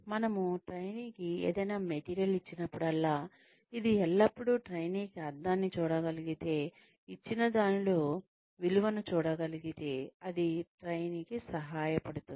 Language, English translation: Telugu, Whenever we give any material to the trainee, it always helps, if the trainee can see meaning , can see value, in whatever has been given, to the trainee